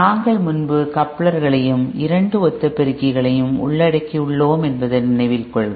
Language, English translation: Tamil, Recall that we have covered couplers previously and two identical amplifiers